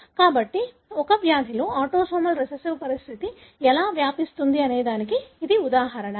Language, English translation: Telugu, So, that’s the example of, how autosomal recessive condition would be transmitted in a disease